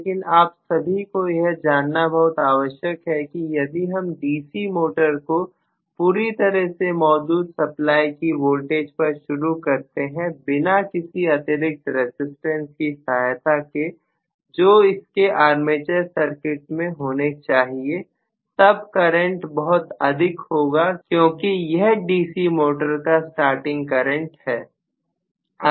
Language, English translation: Hindi, But it is quite important for you guys to know that, if I try to start a DC motor with full supply applied to the armature without any resistance, extra resistance included in the armature circuit, the current is going to be enormously high, because the starting current in the case of a DC motor